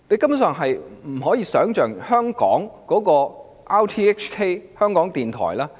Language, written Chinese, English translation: Cantonese, 我以最多議員提及的香港電台為例。, Let me take RTHK which has been mentioned by the most Members as an example